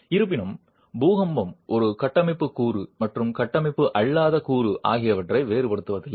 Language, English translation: Tamil, However, the earthquake does not distinguish between a structural component and nonstructural component